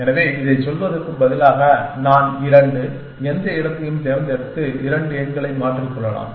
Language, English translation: Tamil, So, instead of saying this I, so I can pick two, any place and swap two numbers